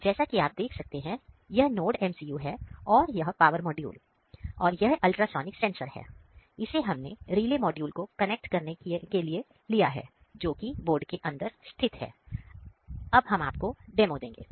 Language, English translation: Hindi, So, this is NodeMCU and this is power module and this is ultrasonic sensor and here we have connected to relay module which is inside the board